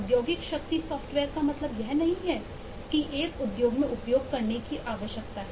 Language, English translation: Hindi, industrial strength software does not mean software that needs to be used in an industry